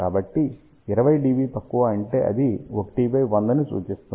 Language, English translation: Telugu, So, what 20 dB less implies it implies 1 by 100